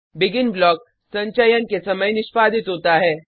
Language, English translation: Hindi, BEGIN block get executed at the time of compilation